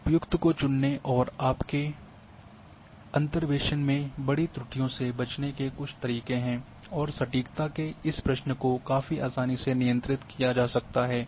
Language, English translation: Hindi, There are certain ways of choosing appropriate one and avoiding or avoiding large errors in your interpolations and this question of accuracy may be handled quite easily